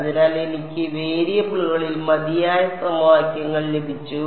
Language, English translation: Malayalam, So, that I got enough equations in variables